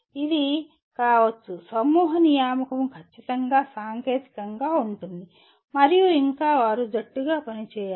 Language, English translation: Telugu, This can be, group assignment could be strictly technical and yet they have to work as a team